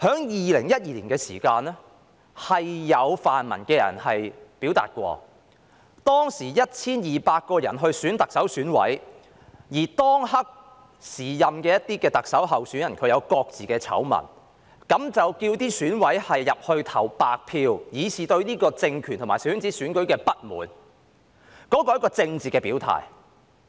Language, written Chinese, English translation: Cantonese, 2012年的時候，特首選委會由 1,200 人組成，而當時一些特首候選人各有醜聞，有泛民人士遂要求選委投白票，以示對這個政權及小圈子選舉的不滿，那是一種政治表態。, In 2012 the Election Committee EC for the selection of the Chief Executive was composed of 1 200 members . At that time the candidates for the office of Chief Executive each had their own scandals . Some pan - democrats then asked EC members to cast a blank vote to show their dissatisfaction with the regime and the small - circle election